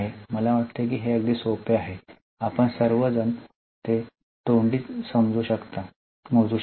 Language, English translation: Marathi, I think it is very simple so all of you can calculate it orally